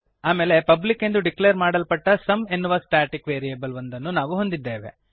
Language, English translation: Kannada, Then we have a static variable sum declared as public